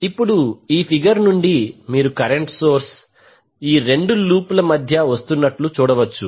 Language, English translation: Telugu, Now, from this figure you can see the current source which is there in the figure is coming between two loops